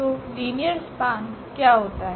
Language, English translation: Hindi, So, what is the linear span